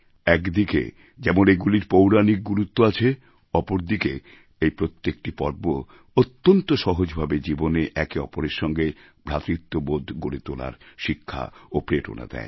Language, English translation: Bengali, On the one hand, where they have mythological significance, on the other, every festival quite easily in itself teaches the important lesson of life the value of staying together, imbued with a feeling of brotherhood